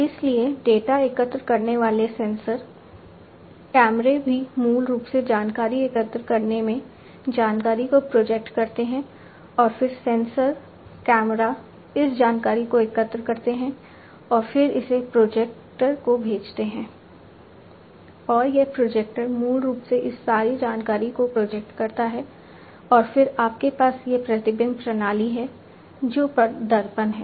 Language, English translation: Hindi, So, sensors collecting data, cameras also basically know projecting in the information collecting the information and then together the sensors, cameras, you know, collecting all these information and then sending it to the projectors, and this projector basically projects all this information and then you have this reflection system, which is the mirror